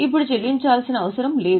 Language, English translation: Telugu, They are not to be paid now